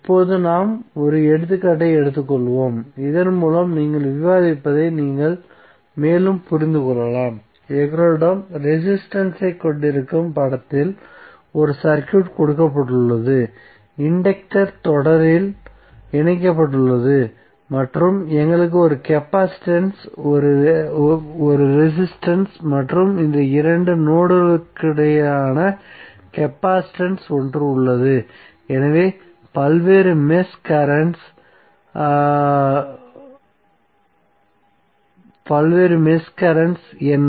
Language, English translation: Tamil, Now let us take one example so that you can further understand what we discus till now, let us say that we have a circuit given in the figure where we have resistance, inductance are connected in series and we have one capacitance, one resistance and one capacitance here between this two nodes, so what are various mesh currents